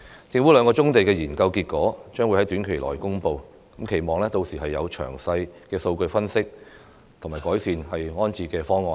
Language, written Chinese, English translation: Cantonese, 政府兩項棕地研究結果將會在短期內公布，期望屆時有詳細的數據分析及完善的安置方案。, The results of two studies on brownfield operations will be released shortly . I hope detailed data analysis and a proper relocation plan will be included